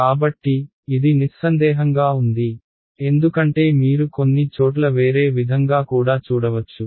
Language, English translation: Telugu, So, that is unambiguous because you might find in some places the other way also alright